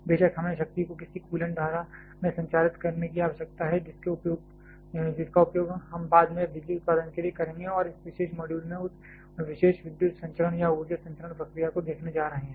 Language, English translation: Hindi, Of course, we need to transmit the power to some coolant stream which will we use for subsequent power production and in this particular module we are going to look at that particular power transmission or energy transmission procedure